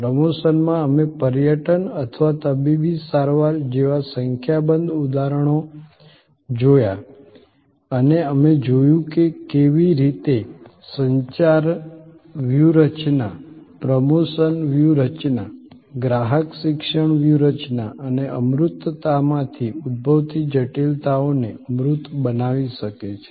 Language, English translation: Gujarati, In promotion, we looked at number of examples like tourism or like a medical treatment and we saw how the communication strategy, the promotion strategy, the customer education strategy can tangible the complexities arising out of intangibility